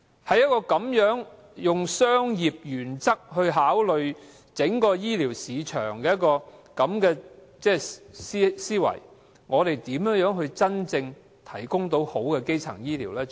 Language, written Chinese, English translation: Cantonese, 在一個以商業原則考慮整個醫療市場的思維下，我們如何能真正提供好的基層醫療？, How can we deliver good primary health care if we only think of running the whole health care market under the commercial principle